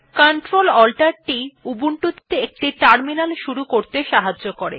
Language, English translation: Bengali, Ctrl Alt t helps to start a terminal in ubuntu